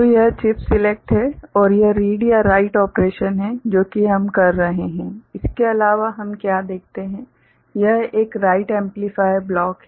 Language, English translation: Hindi, So, this is chip select and this is read or write operation that we are doing, other than that what else we see, this is a write amplifier block